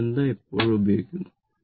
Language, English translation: Malayalam, This relationship is always used